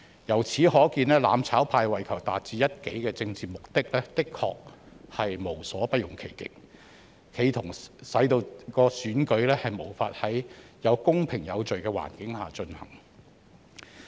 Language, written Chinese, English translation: Cantonese, 由此可見，"攬炒派"為求達致一己政治目的，的確無所不用其極，企圖使選舉無法在公平有序的環境下進行。, It is evident that the mutual destruction camp had indeed resorted to extreme measures to achieve its political objectives attempting to make it impossible for the election to be conducted in a fair and orderly manner